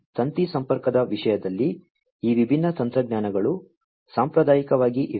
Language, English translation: Kannada, So, in terms of wired connectivity; these different technologies are there traditionally